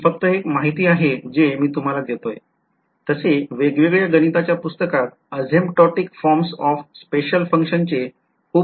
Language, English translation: Marathi, Again this is just information I am giving you, with this is very very well documented in various mathematical hand books asymptotic forms of special functions